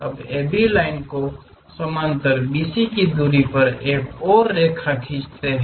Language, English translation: Hindi, Now, parallel to AB line draw one more line at a distance of BC